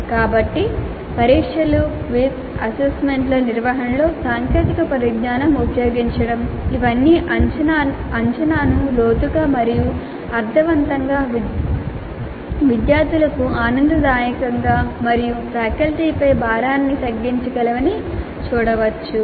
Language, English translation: Telugu, So it can be seen that the use of technology in administering test, quiz assignments all this can make the assessment both deeper and meaningful, enjoyable to the students and reduce the burden on the faculty